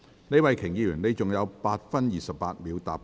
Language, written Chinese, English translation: Cantonese, 李慧琼議員，你還有8分28秒答辯。, Ms Starry LEE you still have 8 minutes and 28 seconds to reply